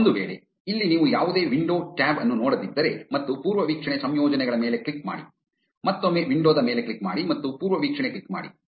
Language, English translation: Kannada, In case, here you do not see any window tab and then click on the preview settings, again click on window and click on the preview